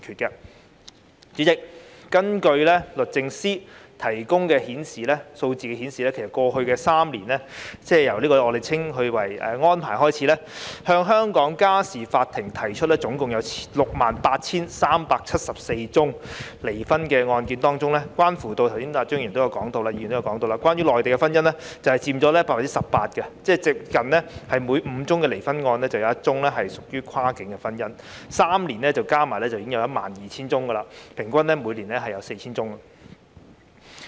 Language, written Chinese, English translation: Cantonese, 代理主席，根據律政司提供的數字，其實在過去3年，即由簽訂《安排》起計，向香港家事法庭提出的 68,374 宗離婚案件當中——剛才張宇人議員也有提到——關於內地婚姻的案件就佔了 18%， 即差不多每5宗離婚個案就有1宗屬於跨境婚姻，在3年間總共有 12,000 宗，平均每年 4,000 宗。, Deputy President according to the figures provided by the Department of Justice in fact in the past three years ie . starting from the day the Arrangement was signed amongst the total of 68 374 divorce cases filed in the Family Court of Hong Kong as Mr Tommy CHEUNG has also mentioned 18 % were related to marriages in the Mainland . That means one out of five divorce cases involves cross - boundary marriage a total of 12 000 cases in three years ie